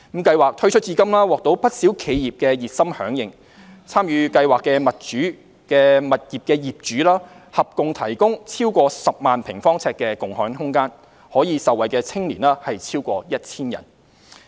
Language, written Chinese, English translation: Cantonese, 計劃推出至今獲不少企業熱心響應，參與計劃的物業業主合共提供超過10萬平方呎的共享空間，可受惠的青年超過 1,000 人。, So far SSSY has received wide support from enterprises and the property owners participating in SSSY have contributed more than 100 000 sq ft of shared space in total . More than 1 000 young people have been benefited